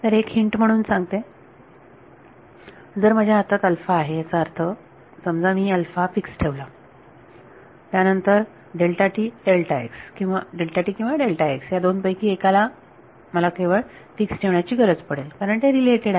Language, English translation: Marathi, So, as a as a hint if I have alpha in my hand; that means, if supposing I fix alpha then I only need to fix one of the two either delta t or delta x; because they are related